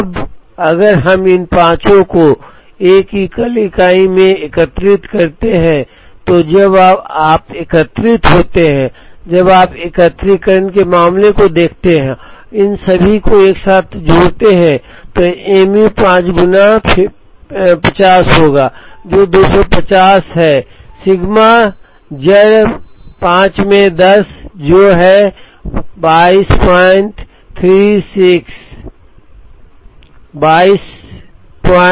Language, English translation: Hindi, Now, if we aggregate these five retails into a single aggregated unit then when you aggregated that the, when you look at the case of aggregation and aggregate all of them together, so mu will be 5 times 50, which is 250, sigma will be root 5 into 10, which is 22